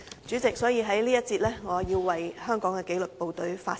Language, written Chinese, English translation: Cantonese, 所以，我要在這個辯論環節為香港的紀律部隊發聲。, I would therefore like to speak for the disciplined services of Hong Kong in this debate session